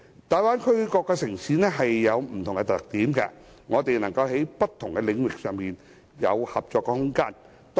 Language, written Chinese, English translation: Cantonese, 大灣區各個城市有不同特點，我們能在不同的領域上有合作空間。, Cities in the Bay Area are all unique in their own ways so we do have room for cooperation in different areas